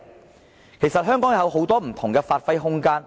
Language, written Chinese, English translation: Cantonese, 香港其實有很多不同的發揮空間。, Actually Hong Kong is capable of developing itself in many different areas